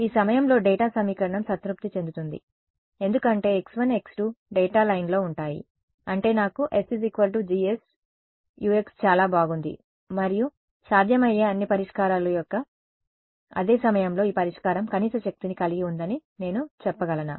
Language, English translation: Telugu, At this point the data equation is being satisfied because x 1 x 2 lie on the data line; that means, I have got s is equal to G S Ux very good and at the same time of all possible solutions can I say that this solution has the minimum energy